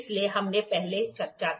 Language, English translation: Hindi, So, this we discussed there